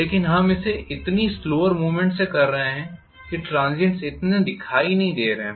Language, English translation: Hindi, But we are doing it so slowly that the transients are not so visible